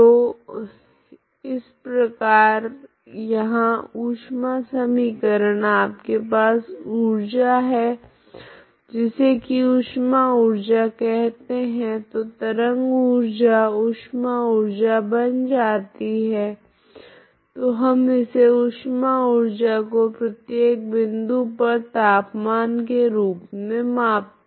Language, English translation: Hindi, So same here heat equation you have a energy that is called heat energy, so wave energy becomes heat energy here, heat energy so we measure this heat energy as at every point as a temperature, okay